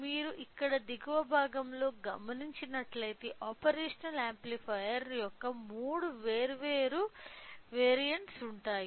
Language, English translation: Telugu, So, here on the bottom side if you observe there are three different variants of operational amplifier